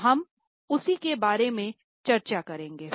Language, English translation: Hindi, So, we will discuss about the same